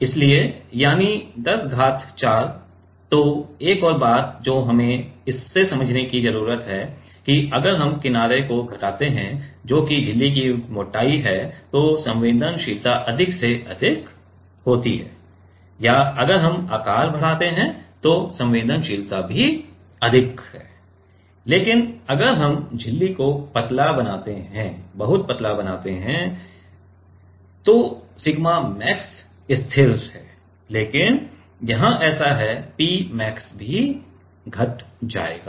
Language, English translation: Hindi, So, another thing what we need to understand from this that if we decrease the edge that is the thickness of the membrane then sensitivity is more and more higher or even if we increase the size then also sensitivity is higher, but if we make the membrane very thin if we make the membrane very thin then sigma max is constant, but here so, P max will P max will also decrease